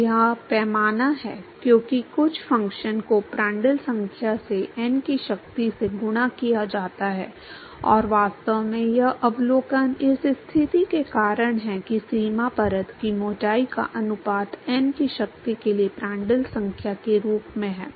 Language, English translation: Hindi, So, it is scales as some function multiplied by the Prandtl number to the power of n, and in fact, that observation is because of the positing that the ratio of boundary layer thickness is scales as the Prandtl number to the power of n